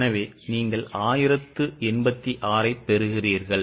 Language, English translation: Tamil, So it is 1095